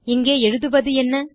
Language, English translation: Tamil, What should we write here